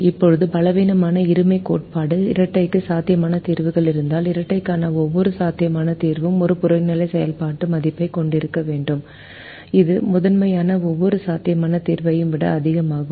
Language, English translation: Tamil, then the weak duality theorem will have to say that if there are feasible solutions to the dual, then every feasible solution to the dual should have an objective function value which is greater than every feasible solution to the primal, and primal can